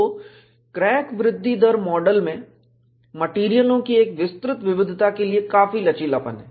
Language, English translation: Hindi, So, the crack growth rate model has considerable flexibility to model a wide variety of materials